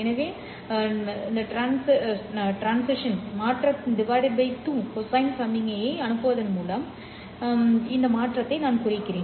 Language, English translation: Tamil, So I can represent this transition by sending out a pi by 2 shifted cosine signal